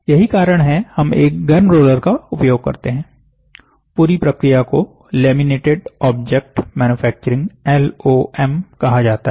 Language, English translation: Hindi, So, this is why we use a heated roller; the entire process is called as laminated object manufacturing